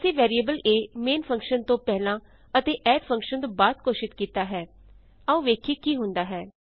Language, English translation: Punjabi, We have declared the variable a above the main function and after the add function , Let us see what happens